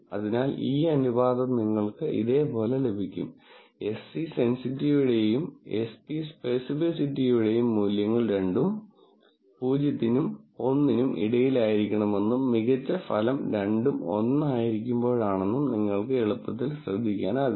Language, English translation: Malayalam, So, you get this ratio to be this, you can quite easily notice that the values of Se sensitivity and Sp speci city will both have to be between 0 and 1 and the best result is when both are 1